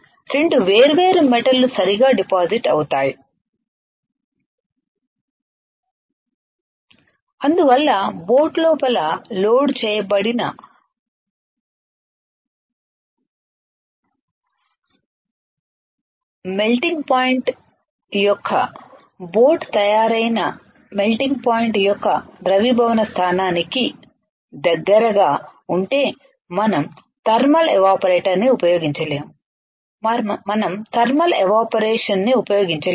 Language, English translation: Telugu, 2 different metals will be depositing right that is why in such cases where your melting point of the material loaded inside the boat is close to the melting point of the material from which boat is made we cannot use thermal evaporator, we cannot use thermal evaporator